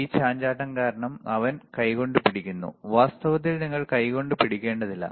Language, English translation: Malayalam, So, this fluctuating because he is holding with hand, in reality you do not have to hold with hand